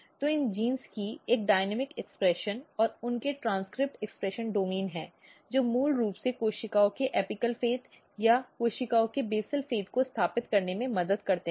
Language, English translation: Hindi, So, there is a dynamic expression and their transcript expression domain of these genes which basically helps in establishing apical fate of the cells or basal fate of the cells